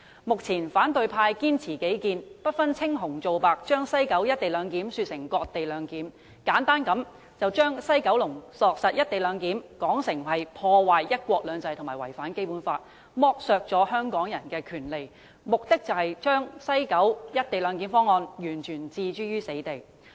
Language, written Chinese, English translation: Cantonese, 目前反對派堅持己見，不分青紅皂白，把西九龍站的"一地兩檢"方案說成是"割地兩檢"，簡單地把西九龍站落實"一地兩檢"安排說成是破壞"一國兩制"及違反《基本法》，剝削香港人權利之舉，目的是要把西九龍站"一地兩檢"安排完全置諸死地。, However the opposition camp is now stubbornly clinging to its own views indiscriminately describing the proposed implementation of the co - location arrangement at West Kowloon Station as cession - based co - location arrangement and oversimplifying the whole issue as a move to undermine the principle of one country two systems contravene the Basic Law and deprive Hong Kong people of their rights . The only objective of doing so is to completely do away with the proposal to implement the co - location arrangement at West Kowloon Station